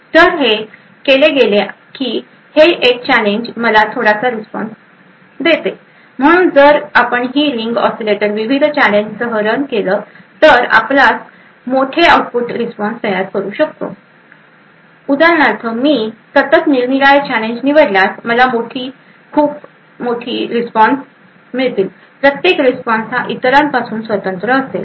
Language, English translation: Marathi, So what is done is that this one challenge gives me one bit of response, so if we actually run this ring oscillator with multiple different challenges we could build larger output response so for example, if I continuously choose different challenges I would get a larger string of responses, each response is independent of the other